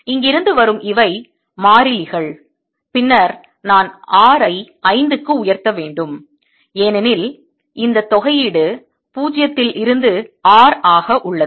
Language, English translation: Tamil, this are the constant is coming from here, and then i have r raise to five over five, because this integral is from zero to r